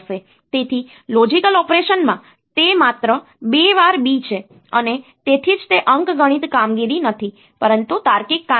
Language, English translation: Gujarati, So, it is just B twice in a logical operation that is why it is not an arithmetic operation the logical operation